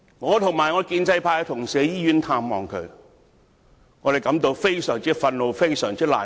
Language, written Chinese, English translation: Cantonese, 我和我的建制派同事前往醫院探望他，感到非常憤怒和難過。, My pro - establishment colleagues and I visited him in the hospital and we felt very angry and upset